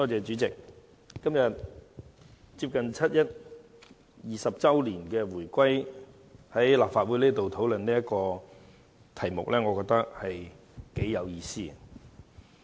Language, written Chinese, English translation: Cantonese, 主席，接近七一20周年回歸之際，我們今天在立法會討論這項議案，我認為頗有意思。, President I think it is meaningful for the Legislative Council to discuss this motion today as we approach the 20 anniversary of Hong Kongs reunification